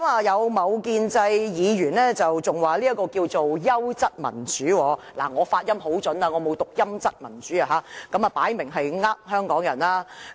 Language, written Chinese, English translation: Cantonese, 有某建制議員更表示這樣是優質民主，我的發音很標準，我沒有讀成"陰質民主"，這明顯是欺騙香港人。, Some pro - establishment Members even regard this as quality democracy . My pronunciation is very correct . I do not read it as tacky democracy